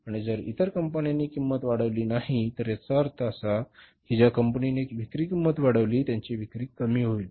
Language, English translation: Marathi, And if the other company doesn't jack up the price, so it means the company who increases the selling price, their sales are bound to dip